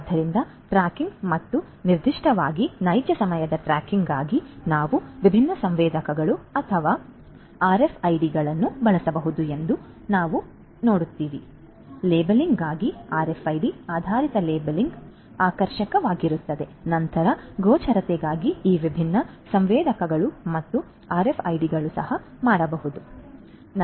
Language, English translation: Kannada, So, you see that for tracking and particularly real time tracking we can use different sensors or RFIDs we could use those different devices, for labeling you know RFIDs, RFID based labeling would be attractive then for visibility again this sensors different sensors and even the RFIDs could also be used